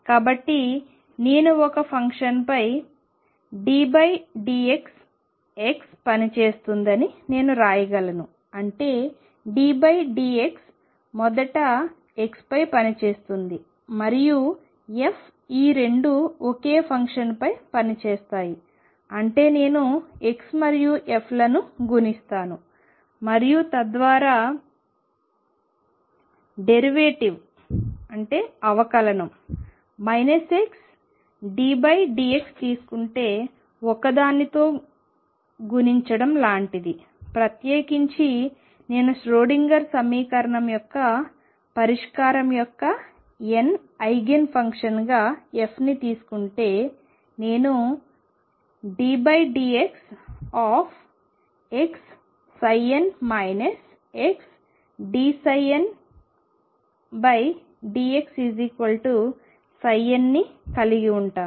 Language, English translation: Telugu, Therefore I can write that d by d x x operating on a function by that I mean d by d x will act on first on x and then f both this operating on a function means I will multiply x and f and then take the derivative minus x d by d x is like multiplying by one in particular, if I take f to be the n th I can function of the solution of the Schrödinger equation, I am going to have d by d x of x psi n minus x d psi n by d x is equal to psi n